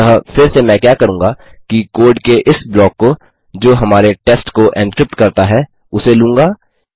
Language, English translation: Hindi, So again what I have to do is take this block of code, that has been encrypting our page